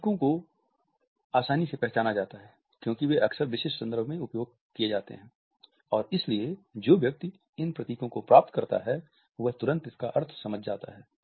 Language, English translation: Hindi, They are easily identified because they are frequently used in specific context and therefore, the person who receives these emblems immediately understand the meaning